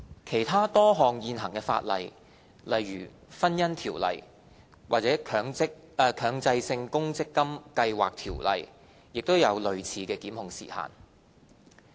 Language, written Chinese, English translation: Cantonese, 其他多項現行法例，例如《婚姻條例》或《強制性公積金計劃條例》亦有類似的檢控時限。, Similar time limits for prosecution are provided in other existing legislation eg . the Marriage Ordinance and the Mandatory Provident Fund Schemes Ordinance